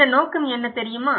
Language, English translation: Tamil, Do you know what is this motive